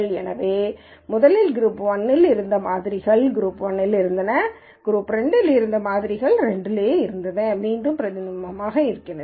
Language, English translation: Tamil, So, whatever were the samples that were originally in group 1 remained in group 1 and whatever are the samples which are in group 2 re main in group 2